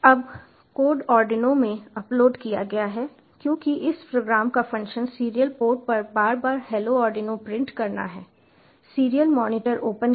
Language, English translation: Hindi, since the function of this program is to print hello arduino on the serial port iteratively, will open the serial monitor